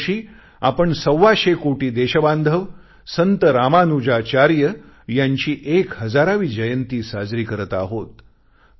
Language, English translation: Marathi, This year, we the hundred & twenty five crore countrymen are celebrating the thousandth birth anniversary of Saint Ramanujacharya